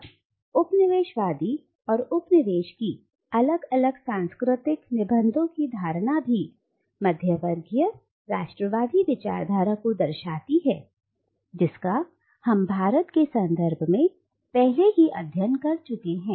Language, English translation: Hindi, Now this notion of distinct cultural essences separating the coloniser and the colonised also informs the kind of middle class nationalist discourse that we have studied earlier from within the context of India